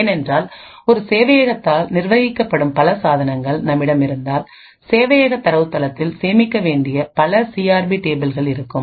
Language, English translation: Tamil, Therefore now things get much more worse because if we have multiple devices which are managed by a single server, there would be multiple such CRP tables that are required to be stored in the server database